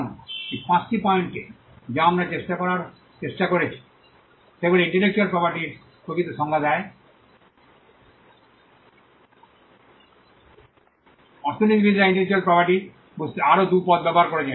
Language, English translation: Bengali, Now, these are 5 points which we have we have tried to pull out which define the nature of the intellectual property, economists have also used 2 more terms to understand intellectual property